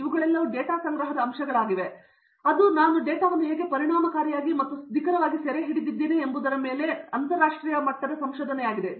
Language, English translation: Kannada, All these are data collection points and that is in now becoming an interdisciplinary research of how I effectively and efficiently and accurately I capture the data